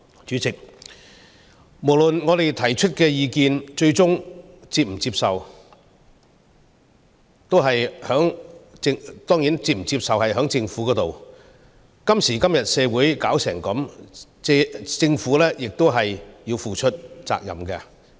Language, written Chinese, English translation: Cantonese, 主席，不論我們提出甚麼意見，最終還是由政府決定是否接受；今時今日的社會變成這樣，政府亦要負上責任。, President whatever proposals we have come up with it is up to the Government to decide whether or not to adopt them . The Government is partly to blame for having turned society into the present state